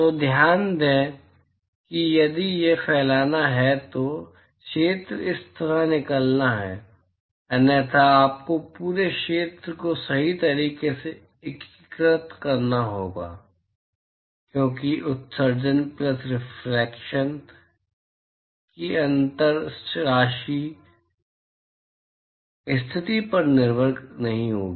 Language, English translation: Hindi, So, note that if it is diffuse then the area scales out like this; otherwise you will have to integrate over the whole area right, because the differential amount of emission plus reflection is not going to be dependent on the position